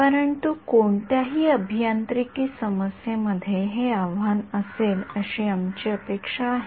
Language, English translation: Marathi, But we expect this to be a challenge in any engineering problem